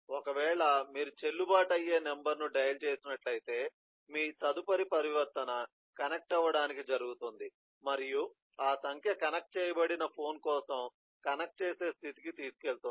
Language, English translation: Telugu, otherwise, if you have dialed a valid number, then your next eh eh transition happens to connect and that takes you to connecting state for the phone, where the number is being connected